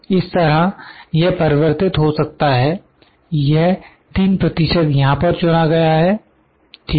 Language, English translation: Hindi, Like this can vary if this is 3 percent is selected here, ok